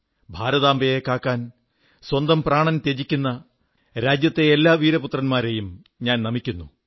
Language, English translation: Malayalam, I respectfully bow to all the brave sons of the country, who laid down their lives, protecting the honour of their motherland, India